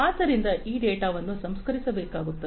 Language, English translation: Kannada, So, this data will have to be processed